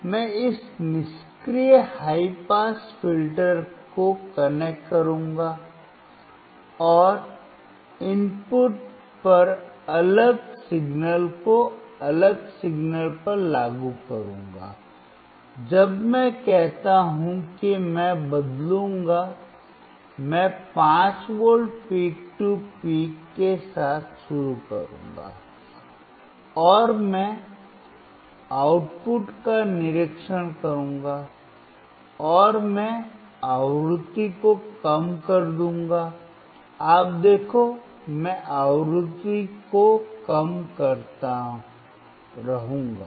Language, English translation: Hindi, I will connect this passive high pass filter, and apply different signal at the input different signal when I say is I will change the I will start with 5V peak to peak and I will observe the output, and I will decrease the frequency, you see, I will keep on decreasing the frequency